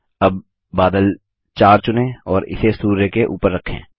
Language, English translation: Hindi, Now, lets select cloud 4 and place it over the sun